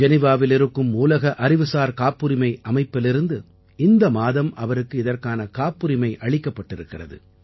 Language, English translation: Tamil, This month itself he has received patent from World Intellectual Property Organization, Geneva